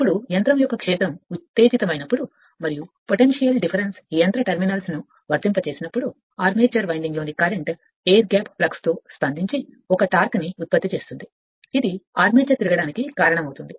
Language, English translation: Telugu, Now, when the field of a machine is excited and they and the potential difference is impressed upon the machine terminals, the current in the armature winding reacts with air gap flux to produce a torque which tends to cause the armature to revolve right